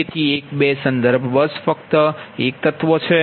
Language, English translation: Gujarati, so one, two, reference bus, only single element